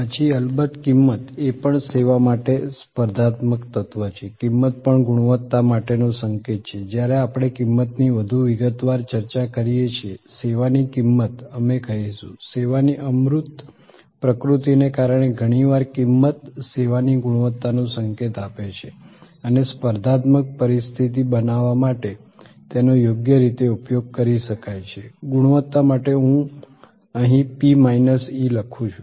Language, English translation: Gujarati, Then there is of course, price, competitive element, service element, price is also signal for quality when we discuss price in more detail, a pricing of service we will say, because of the intangible nature of service often price signals that quality of service and that can be leveraged properly to create a competitive situation, quality here I write P minus E